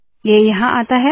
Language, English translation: Hindi, It comes here